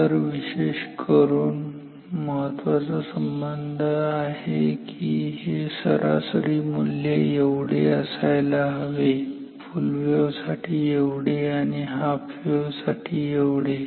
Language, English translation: Marathi, So, particularly important relationships are this average value equal to this for this is for full wave; this is for half wave